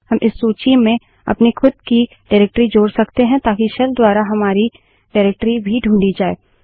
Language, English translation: Hindi, We can also add our own directory to this list so that our directory is also searched by the shell